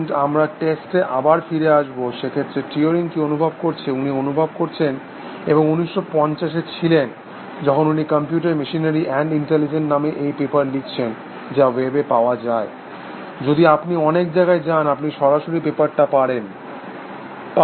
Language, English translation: Bengali, We will come back to, the test again, so what it turing feel, he felt and this was in 1950, when he wrote this paper, called computer machinery and intelligent, it is available on the web, if you go to many places, you will just get the paper directly